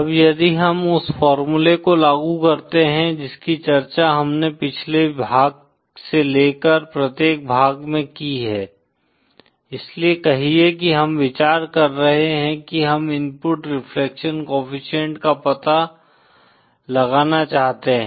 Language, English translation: Hindi, Now if we apply the formula we just discussed in the previous section to each section now, so say we are considering we want to find out the input reflection coefficient